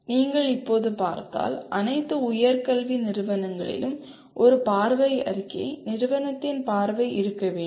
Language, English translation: Tamil, If you look at now all in higher education institution should have a vision statement, vision of the institute